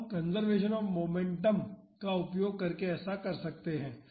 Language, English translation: Hindi, We can do that using the conservation of momentum